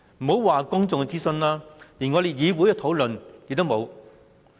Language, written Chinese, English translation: Cantonese, 莫說公眾諮詢，就連議會討論也沒有。, Not to mention public consultation the Government has never discussed the matter with the legislature